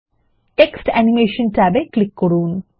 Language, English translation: Bengali, Click the Text Animation tab